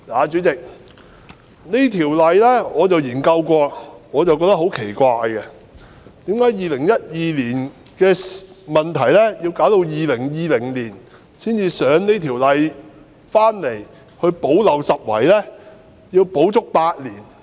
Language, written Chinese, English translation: Cantonese, 主席，我曾研究《條例草案》，我覺得很奇怪，為甚麼2012年出現的問題要需時整整8年，直到2020年才提交《條例草案》來補漏拾遺呢？, President I have studied the Bill and I found it very strange as to why a problem that emerged in 2012 is tackled only after eight whole years in 2020 now by putting forward this Bill to plug the gap?